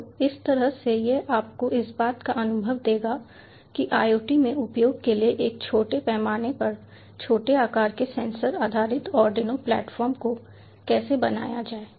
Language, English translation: Hindi, so that way it will give you a hands on experience about how to create a small, small scale ah, small sized ah sensor actuated based arduino platform for used in iot